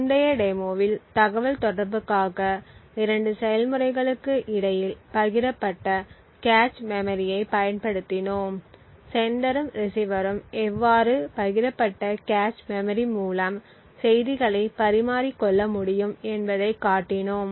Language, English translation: Tamil, In the previous demonstration what we have seen was we had used the shared cache memory between 2 processes for communication we had shown how a sender and a receiver could actually exchange messages through the shared cache memory